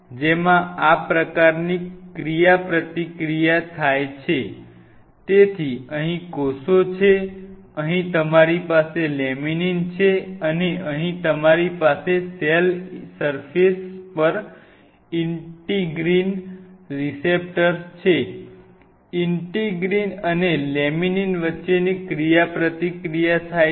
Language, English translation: Gujarati, So, here is the cell, here you have laminin and here you have the integrin receptors present on the cell surface and the interaction between happens between integrin and laminin